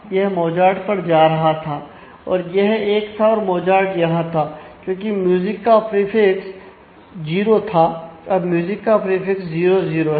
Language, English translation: Hindi, So, this was going to Mozart this was 1 and Mozart was here because music had a prefix 0; now music has a prefix 0 0